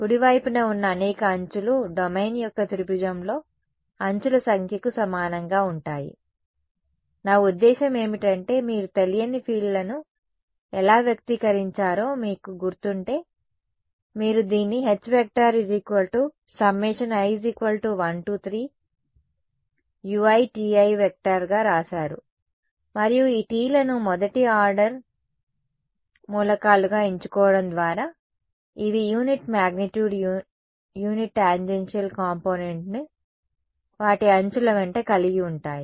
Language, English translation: Telugu, As many edges right is going to be equal to number of edges in triangulation of the domain, how I mean if you remember how did you express the unknown fields right you wrote this as sum i is equal to 1 to 3 u i T i and T i was my known vector field u’s were the unknowns which I wanted to determine, and by choosing the these T s to be those first order Whitney elements these had unit magnitude unit tangential component along their respective edges